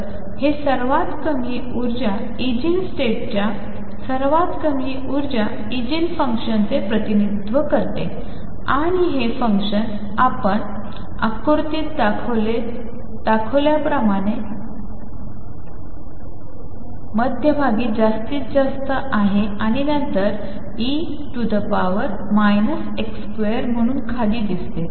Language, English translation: Marathi, So, this represents the lowest energy Eigen state lowest energy Eigen function and how does this function look if you plot it, it is maximum in the middle and then goes down as e raised to minus x square this is how it looks